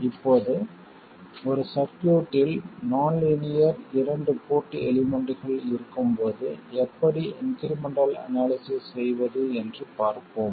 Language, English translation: Tamil, Now, we will look at how to do incremental analysis when we have nonlinear two port elements in a circuit